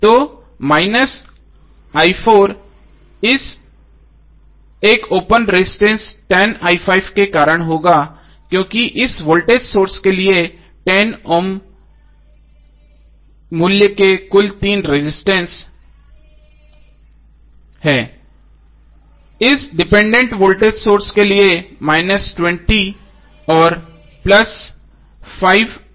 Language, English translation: Hindi, So minus i4 would because of this one open resistance 10i5 because there are 3 resistance of total value of 10 Ohm minus 20 for this voltage source and plus 5 i0 double dash for this dependent voltage source